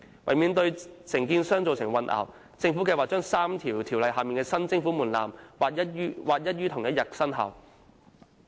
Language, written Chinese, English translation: Cantonese, 為免對承建商造成混淆，政府計劃將3項條例下的新徵款門檻劃一於同日生效。, To avoid confusion to contractors the Administration intends to align the effective dates of the new levy thresholds under the three ordinances